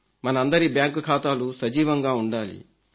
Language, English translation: Telugu, All of our accounts should be kept active